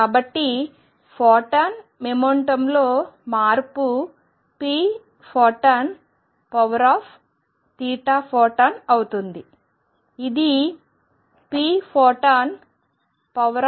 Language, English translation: Telugu, So, change in the momentum of photon is going to be p photon times theta, which is p photon times theta is a over f